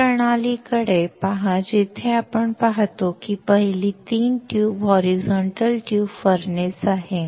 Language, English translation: Marathi, Look at this system where we see that the first one is a 3 tube horizontal tube furnace